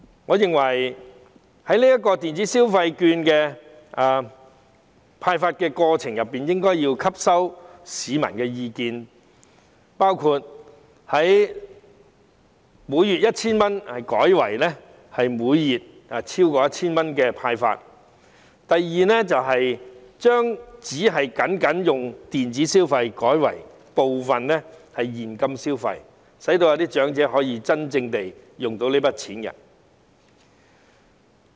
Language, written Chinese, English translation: Cantonese, 我認為政府在電子消費券的派發過程中，應吸納市民的意見，包括由每月派發 1,000 元改為超過 1,000 元，以及把款額僅作電子消費改為部分是現金消費，讓長者可以真正使用這筆金錢。, I think that in the process of issuing electronic consumption vouchers the Government should listen to the views of the public including increasing the monthly consumption ceiling from 1,000 to more than 1,000 and changing the mode of consumption from electronic consumption only to partly in cash so that the elderly can actually use the money